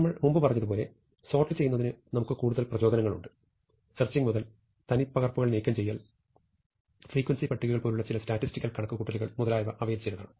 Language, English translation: Malayalam, So, as we said before that are many more motivations for sorting; starting from searching, to removing duplicates, to computing some statistical properties, such as frequency tables, and so on